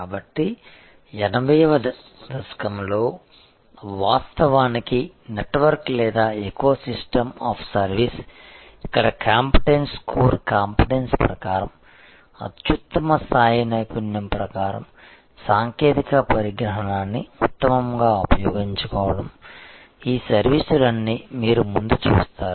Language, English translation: Telugu, So, in the 80’s actually a network or eco system of service, where according to competence core competence according to the best level of expertise best use of technology the all these services, that you see in front of you